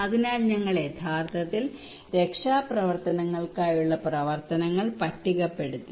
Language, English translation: Malayalam, So we actually listed down the actions for rescue operations